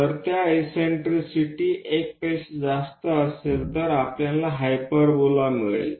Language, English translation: Marathi, If that eccentricity is greater than 1, we get a hyperbola